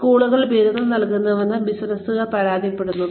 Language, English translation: Malayalam, Businesses complain that, schools award degrees